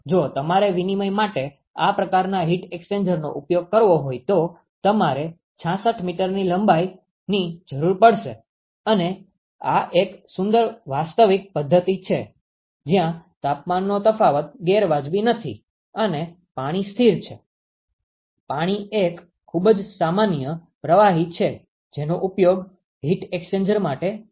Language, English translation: Gujarati, You would require 66 meters of construction if you want to use this kind of a heat exchanger for exchange and this is a pretty realistic system where the temperature difference not unreasonable, and water is a constant; water is a very normal fluid which is used for heat exchange